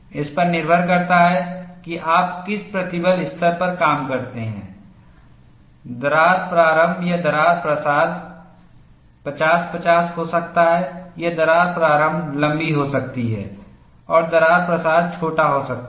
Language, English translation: Hindi, Depending on which stress level that you operate, crack initiation and crack propagation could be 50 50, or crack initiation could be longer and crack propagation could be smaller